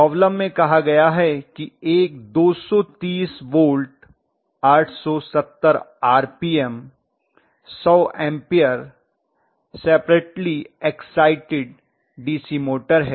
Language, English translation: Hindi, The problem statement says the 230 volt, 870 RPM, 100 amperes, 230 volt, 870 RPM, 100 ampere separately excited DC motor okay